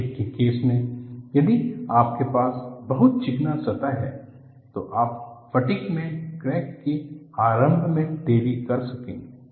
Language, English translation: Hindi, See, in the case of fatigue, if we have a very smooth surface, you will delay crack initiation in fatigue